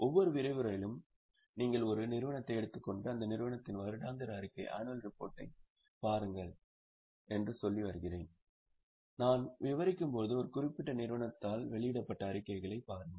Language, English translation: Tamil, I have been telling you in every session that you decide a company, go to the annual report of that company and as we discuss, have a look at the statements which are as published by a particular company